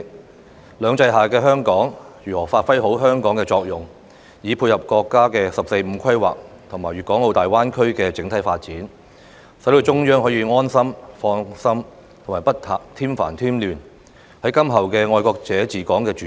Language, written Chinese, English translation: Cantonese, 在"兩制"下的香港應該如何發揮作用，以配合國家"十四五"規劃和粵港澳大灣區的整體發展，讓中央可以安心、放心、不添煩添亂，便是今後"愛國者治港"的主軸。, How Hong Kong should play its role under the two systems principle to support the National 14 Five - Year Plan and the overall development of the Guangdong - Hong Kong - Macao Greater Bay Area to let the Central Government have a peace of mind and rest assured to avoid giving our country worries and trouble . All of these will be the future axis of patriots administering Hong Kong